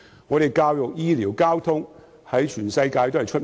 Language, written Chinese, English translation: Cantonese, 我們的教育、醫療、交通在全世界都很有名。, In respect of education health care and transportation Hong Kongs accomplishments are world - renowned